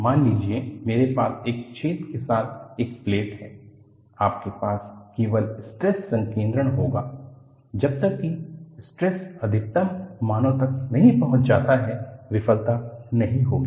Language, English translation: Hindi, Suppose, I have a plate with the hole; you will have only stress concentration, until the stresses reaches the maximum values failure will not happen